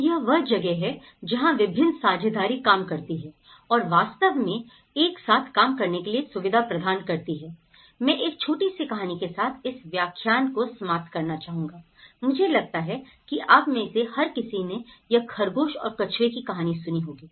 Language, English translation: Hindi, So, this is where different partnerships work and work actually together to provide facility for these small actors like I would like to conclude this lecture with a small story, I think every one of you know, the hare and tortoise story